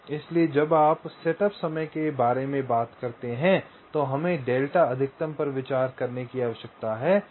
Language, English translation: Hindi, so when you talk about the setup time, we need to consider delta max